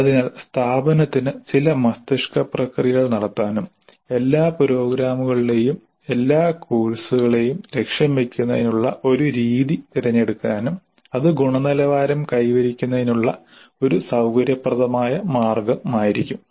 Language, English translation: Malayalam, So the institute can do certain brainstorming and they choose one method of setting the target for all the courses in all the programs and that would be a convenient way of achieving the quality